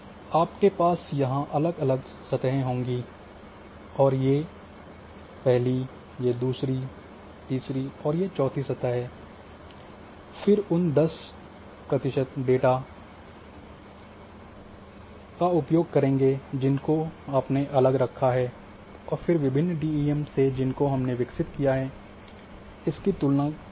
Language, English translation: Hindi, So, you will have different surfaces here one two three four surfaces then use those 10 percent which you kept separately those points you use and compare with the your different DEMs which you have generated